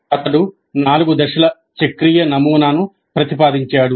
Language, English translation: Telugu, He proposed a four stage cyclic model